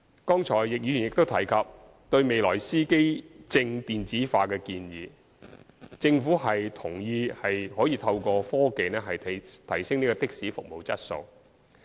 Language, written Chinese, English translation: Cantonese, 剛才易議員也提及對未來司機證電子化的建議，政府同意可以透過科技提升的士服務質素。, Mr YICK also mentioned the proposal to introduce electronic driver identity plates in the future just now . The Government has agreed that taxi service quality can be raised by technological means